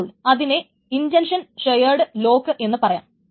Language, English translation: Malayalam, So then it is called an intention share lock